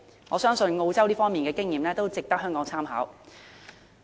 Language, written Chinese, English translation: Cantonese, 我相信澳洲在這方面的經驗值得香港參考。, Hong Kong should draw reference from Australia in this regard